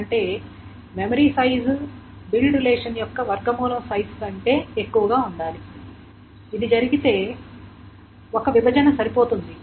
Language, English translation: Telugu, So the memory size must be greater than the square root of the size of the build relation